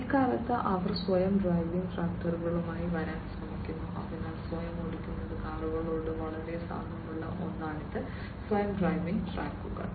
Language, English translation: Malayalam, So, nowadays they are also working on coming up with self driving tractors, so something very similar to the self driving cars self driving tractors